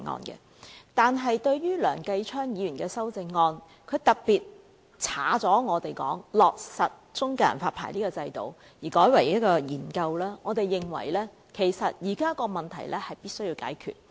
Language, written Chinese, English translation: Cantonese, 不過，對於梁繼昌議員的修正案，特別是刪去議案中"落實"中介人發牌的制度而改為"研究"，我們認為現時的問題是必須解決的。, However as regards Mr Kenneth LEUNGs amendment particularly on deleting to implement the establishment of a licensing regime and replacing it with explore we consider the existing problems must be solved